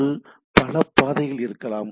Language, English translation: Tamil, So, there can be different path